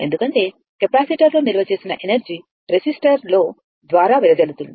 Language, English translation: Telugu, Because, energy stored in the capacitor will be dissipated in the resistor